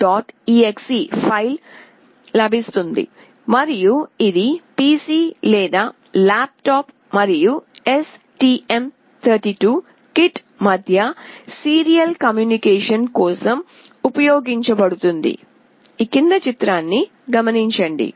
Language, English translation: Telugu, exe file and this will be used for the serial communication between the PC or laptop and the STM32 kit